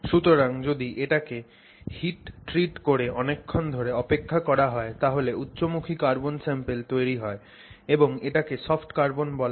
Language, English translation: Bengali, So, if you can heat treat it, wait for enough time and it becomes a oriented sample that's called a soft carbon